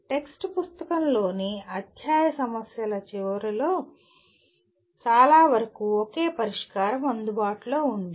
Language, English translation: Telugu, For most of the end of the chapter problems in a text book there is only one solution available